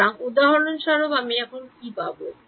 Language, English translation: Bengali, So, for example, what I will get